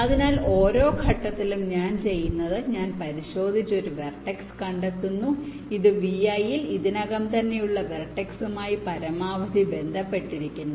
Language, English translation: Malayalam, so what i do at every step, i check and find out a vertex, t, which is maximally connected to the vertices which are already there in v i